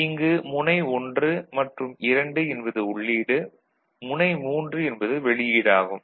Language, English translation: Tamil, So, 1, 2 is the input and 3 is the output